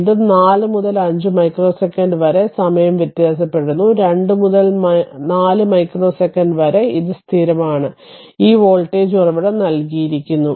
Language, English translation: Malayalam, And again from 4 to 5 micro second, it is time varying; in between 2 to 4 micro second, it is constant; this voltage source is given right